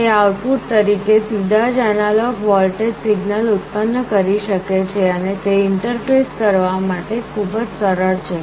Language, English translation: Gujarati, It can directly generate an analog voltage signal as output, and it is very easy to interface